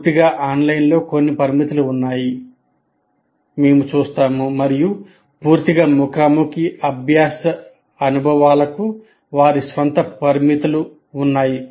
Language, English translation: Telugu, That means fully online has some limitations as we will see and fully face to face learning experiences have their own limitations